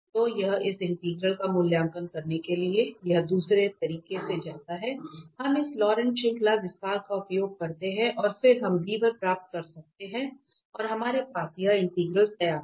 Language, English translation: Hindi, So it is goes other way around, to evaluate this integral we use this Laurent series expansion and then we can get b1 and we have this integral ready